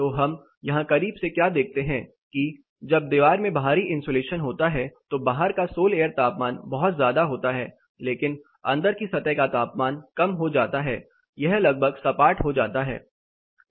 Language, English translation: Hindi, So, what we see closely here, when the wall as an external insulation the sol air temperature outside goes really high, but the inside surface temperature is damped, it is more or less flat